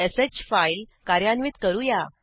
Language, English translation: Marathi, Let us run the file redirect.sh